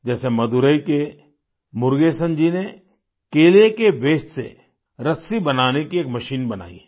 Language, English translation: Hindi, Like, Murugesan ji from Madurai made a machine to make ropes from waste of banana